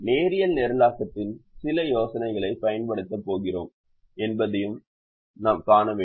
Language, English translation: Tamil, we also have to see that: are we going to use some ideas of linear programming